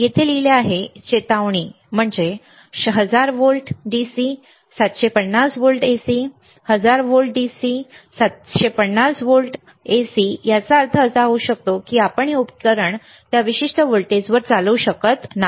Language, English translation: Marathi, There is written here warning is a warning 1000 volts DC, 750 volts AC, 1000's volt DC, 750 volts AC may means that you cannot operate this equipment at that particular voltage is